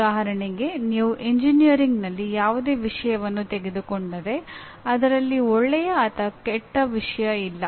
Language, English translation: Kannada, For example if you take any subject in engineering or any other place there is nothing like a good or bad subject